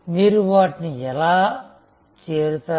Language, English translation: Telugu, How will you reach them